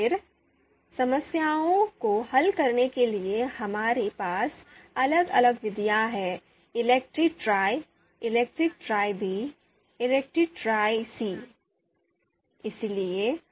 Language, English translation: Hindi, Then for sorting problems, we have different methods ELECTRE Tri, you know ELECTRE Tri B, ELECTRE Tri C